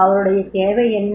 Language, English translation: Tamil, What was his need